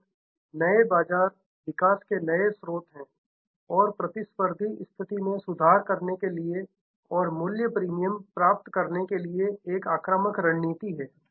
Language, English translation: Hindi, And new markets are new source of growth and improving competitive position another way of offensive strategy is achieve price premium